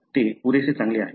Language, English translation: Marathi, That is good enough